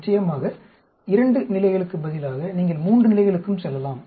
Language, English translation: Tamil, Of course instead of 2 levels you can also go for 3 level x, 3 levels and so on